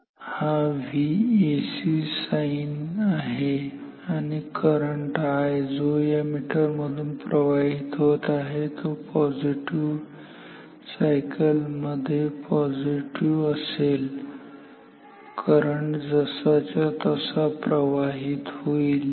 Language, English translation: Marathi, So, this is V AC sinusoidal the current which I which will flow through this meter will be positive here in the positive cycle; current will flow as it is